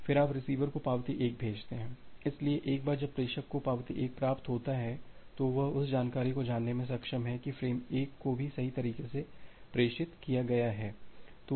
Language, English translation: Hindi, Then you send the receiver sends the acknowledgement 1, so, once the sender receives a acknowledge 1, so, frame 1 has also been correctly transmitted it is able to know that information